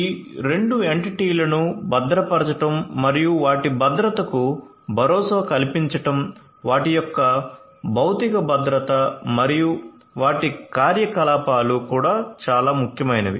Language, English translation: Telugu, So, securing both of these entities and ensuring their safety, safety the physical safety and security of these and also their operations is what is very important